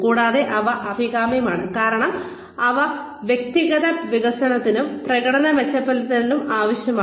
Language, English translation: Malayalam, And, they are the ones, that are desirable because they are necessary for personal development and performance improvement